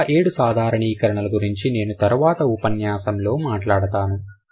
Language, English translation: Telugu, There are seven more generalizations which I will discuss in the next session